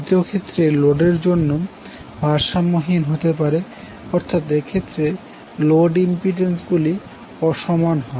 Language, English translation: Bengali, Second case might be the case of unbalanced load where the load impedances are unequal